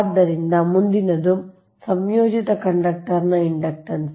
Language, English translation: Kannada, so next is the inductance of composite conductors